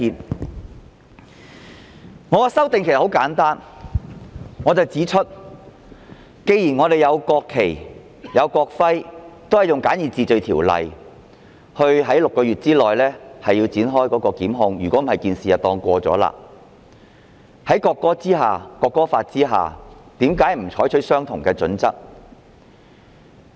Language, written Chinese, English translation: Cantonese, 其實我的修正案很簡單，我指出，既然我們設有《國旗及國徽條例》，按簡易程序，在6個月內提出檢控，否則事件便會當作已經過去，為何《條例草案》不採用相同準則？, My amendment is in fact quite simple . As I have pointed out since we have put in place the National Flag and National Emblem Ordinance NFNEO under which prosecution shall be instituted summarily within six months or else the case will be deemed to be over why does the Bill not adopt the same criteria? . They said it is because of the need to strike a balance between a reasonable prosecution time bar and effective law enforcement